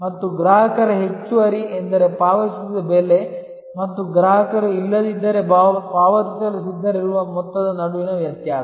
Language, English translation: Kannada, And the customer surplus is the difference between the price paid and the amount the customer would have been willing to pay otherwise